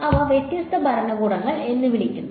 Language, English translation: Malayalam, So, those are called different regimes